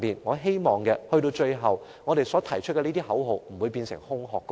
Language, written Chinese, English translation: Cantonese, 我希望我們提出的口號不會變成空中樓閣。, I hope our slogans will not become castles in the air